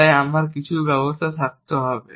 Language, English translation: Bengali, So, I must have some action